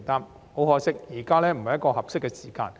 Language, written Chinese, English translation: Cantonese, 不過，很可惜，現在不是合適的時間。, However unfortunately this is not the right time